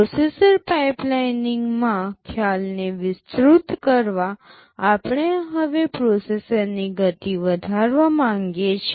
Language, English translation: Gujarati, Extending the concept to processor pipeline, we want to increase the speed of a processor now